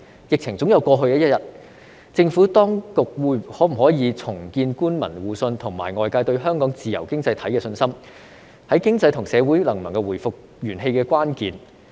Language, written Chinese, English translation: Cantonese, 疫情總有過去的一天，政府當局可否重建官民互信及外界對香港自由經濟體的信心，是經濟和社會能否回復元氣的關鍵。, The epidemic will be over one day but the key to recovery of the economy and society is whether the authorities can rebuild mutual trust between public officers and the people on the one hand; and the confidence of the rest of the world in Hong Kongs free economy on the other